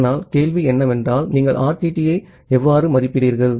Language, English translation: Tamil, But then the question comes that how you make an estimation of RTT